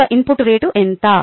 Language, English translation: Telugu, so, rate of input